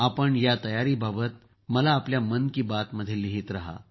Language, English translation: Marathi, Do keep writing your 'Mann Ki Baat' to me about these preparations as well